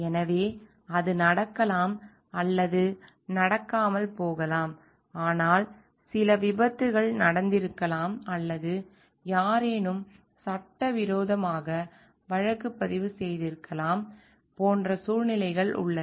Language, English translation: Tamil, So, it may or may not happen, but still there are like situations, in which may be some accidents may have happen, or somebody has filed illegal case